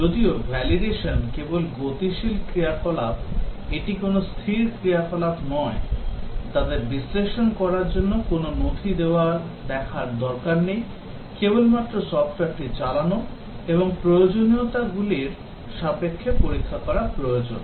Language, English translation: Bengali, Whereas, validation is only dynamic activity it is not a static activity, we do not really need to look at the documents analyze them and so on, need to just execute the software and check against the requirements